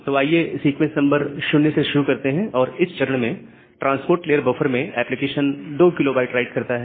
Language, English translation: Hindi, So, let us start with sequence number 0 and at this stage the application does a 2 kB write at the transport layer buffer